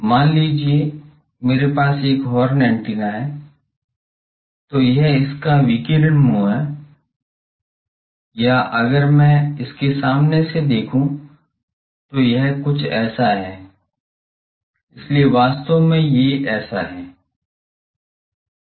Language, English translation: Hindi, Suppose I have a horn antenna, so this is its radiating mouth or if I see the front view it is something like this, so actually there are